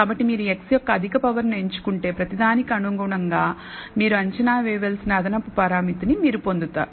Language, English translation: Telugu, So, if you choose higher powers of x, then corresponding to each power you got a extra parameter that you need to estimate